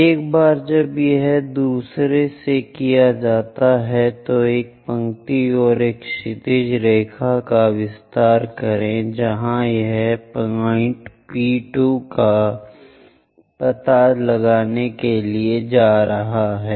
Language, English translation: Hindi, Once it is done from second, extend a line and a horizontal line where it is going to intersect locate point P2